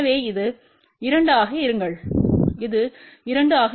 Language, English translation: Tamil, So, this will be 2, this will be 2